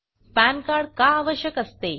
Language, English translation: Marathi, Facts about pan card